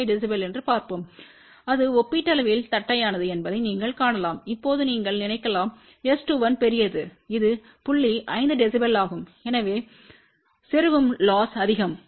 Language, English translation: Tamil, 5 db and you can see that it is relatively flat , now you may think that oh S 2 1 is large which is point 5 db so insertion loss is more